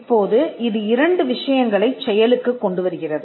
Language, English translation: Tamil, Now, this brings couple of things into play